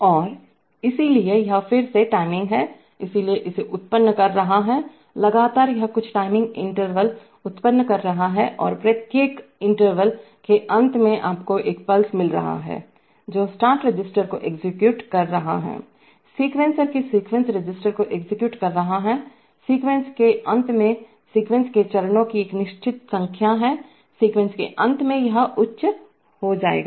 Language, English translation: Hindi, And therefore it is again timing so it is generating, continuously generating some timing intervals and at the end of each interval you are getting a pulse which is executing the start register, executing the sequence register of the sequencer, at the end of the sequence the sequence has a fixed number of steps, at the end of the sequence this will go high